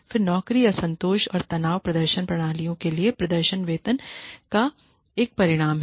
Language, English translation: Hindi, Then job dissatisfaction and stress is a result of performance pay for performance systems